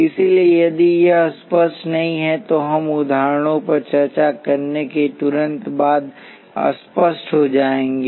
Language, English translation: Hindi, So, if this is not clear, it will be clear immediately after we discuss examples